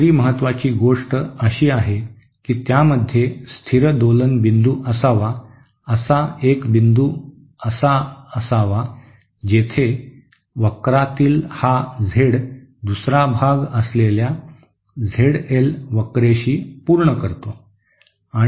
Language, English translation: Marathi, The second important thing is that it should have a stable oscillating point that is there should be a point where this Z in A curve meets the Z L curve that is the second part